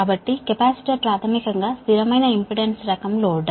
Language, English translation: Telugu, so capacitor is basically is a constant impedance type load